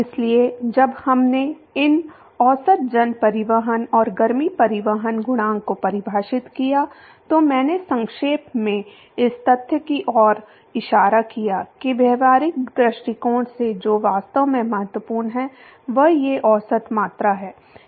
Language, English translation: Hindi, So, when we defined these average mass transport and heat transport coefficient, I briefly alluded to the fact that what is really important from practical point of view is these average quantities